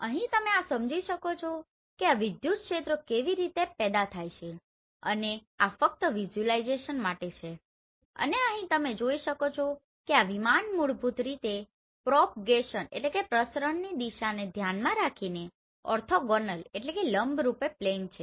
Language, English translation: Gujarati, Here you can understand this how these electric fields have been generated and this is just for the visualization and here you can see this plane is basically orthogonal plane with respect to propagation direction